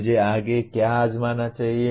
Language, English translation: Hindi, What should I try next